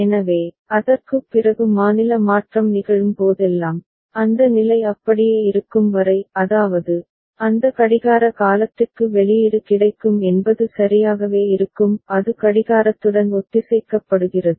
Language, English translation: Tamil, So, whenever state change takes place after that, as long as that state remains so; that means, that for that clock period the output will become available would remain available ok; and it is synchronized with the clock